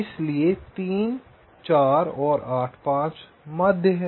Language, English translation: Hindi, so three, four and eight, five are the mean